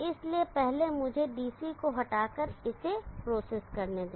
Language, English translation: Hindi, So first let me process it by removing DC